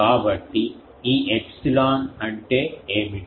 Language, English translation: Telugu, So, what is this epsilon